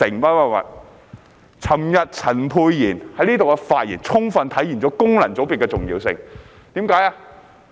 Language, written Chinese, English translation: Cantonese, 昨天，陳沛然議員在這裏的發言，充分體現功能界別的重要性。, Yesterday the speech Dr Pierre CHAN made here had fully reflected the importance of functional constituencies